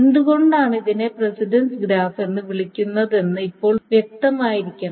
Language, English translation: Malayalam, And now it should be clear why it is called a precedence graph